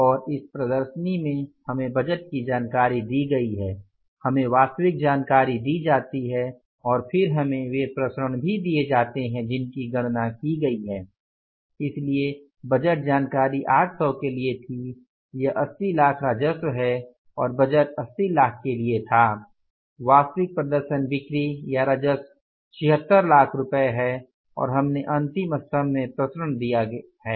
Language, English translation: Hindi, So, budgeted information was for the 800, it is 80 lakhs of the revenue and this budget was for the 80 lakhs, actual performance is 76 lakhs worth of the sales or the revenue and we have found out the variance is given in the last column